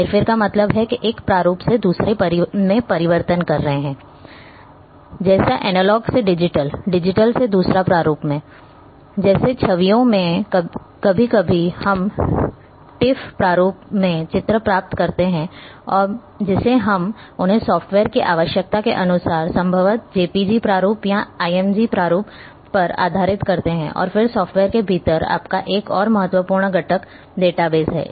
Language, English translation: Hindi, Manipulation means changing from one format to another for example, like from analog to digital, digital one format digital to another format like in a images be to sometime we get images in tiff format we convert them to maybe jpg format or img format depending on the requirements of individuals softwares